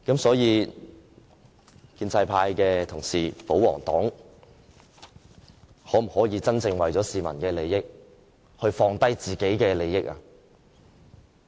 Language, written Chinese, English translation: Cantonese, 所以，建制派同事——保皇黨——可否為了市民的利益，放下自己的利益？, Can the pro - establishment camp the pro - Government camp put aside their own interests for the interests of the general public?